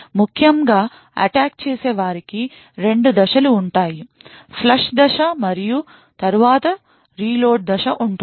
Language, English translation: Telugu, Essentially the attacker has 2 phases; there is a flush phase and then there is a reload phase